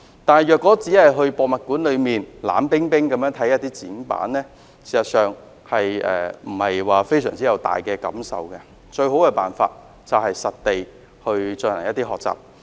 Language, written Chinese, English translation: Cantonese, 可是，如果只是前往博物館，觀看冷冰冰的展板，事實上不會令人有太大感受，而最好的辦法是實地學習。, That being said if people just go to a museum and look at the cold exhibition panels actually they will not have too strong a feeling and I would say that on - site learning will be the best